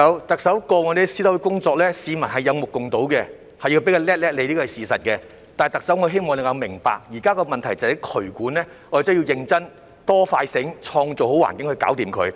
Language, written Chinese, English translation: Cantonese, 特首，過往你在私樓的工作，市民是有目共睹，要給你一個"叻叻"，這是事實，但特首我希望你能明白，現在的問題在渠管，要認真、"多、快、醒，創造好環境"去解決它。, Chief Executive the public can see for themselves what you have done in respect of private buildings in the past . It is true that we must say bravo to you . However Chief Executive I hope you can understand that the problem now lies in drainage